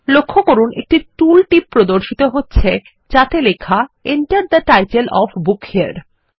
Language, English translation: Bengali, Notice that a tooltip appears saying Enter the title of the book here